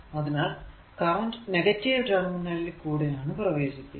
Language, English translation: Malayalam, So, current actually entering through the negative terminal